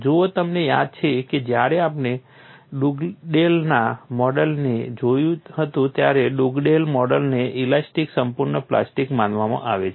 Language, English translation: Gujarati, See if you recall, when we had looked at Dugdale’s model, Dugdale model considered elastic perfectly plastic